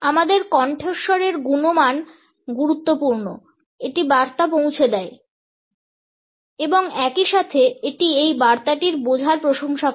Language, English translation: Bengali, Our voice quality is important it conveys the message and at the same time it also compliments the understanding of this message